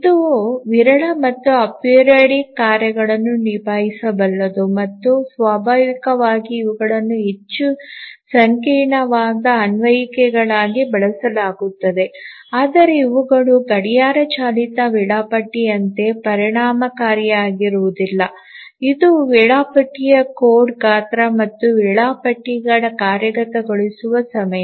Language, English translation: Kannada, This can handle the sporadic and apiridic tasks and naturally these are used more complex applications but these are not as efficient as the clock driven scheduler both in terms of the code size of the schedulers and also the execution time of the schedulers